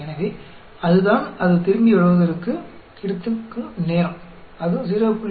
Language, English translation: Tamil, So, that is the time it takes for that to come back; it takes about 0